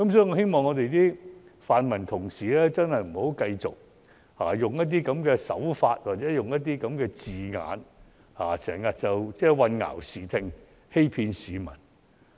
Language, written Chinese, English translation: Cantonese, 我希望泛民議員不要用這樣的手法或這樣的字眼混淆視聽，欺騙市民。, I hope pan - democratic Members can stop using this tactic or such words to confuse and deceive people